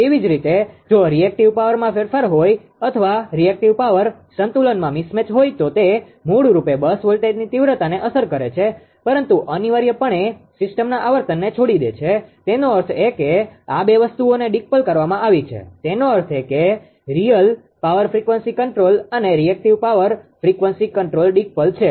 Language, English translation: Gujarati, Similarly, if a if there is a change in the reactive power mismatch in reactive power balance it basically affects the bus voltage magnitude, but leaves the system frequency essentially unaffected; that means, these two things are decoupled; that means, real power frequency control we and that reactive power voltage control they are decoupled right